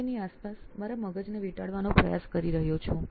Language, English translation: Gujarati, I am trying to get wrap my brain around that